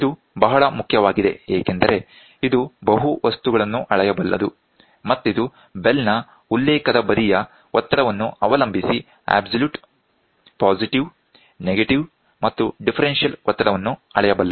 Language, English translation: Kannada, This is very very important, it can measure multiple things, it is capable of measuring absolute, positive, negative and differential pressure depending on the pressure on the reference side of the bell